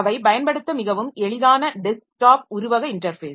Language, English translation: Tamil, So they are user friendly desktop metaphor interface